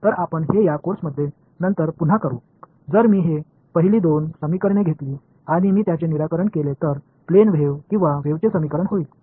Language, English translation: Marathi, So, we will do this again later on in the course if I take these first two equations and I solve them together outcomes the equation of a plane wave or a wave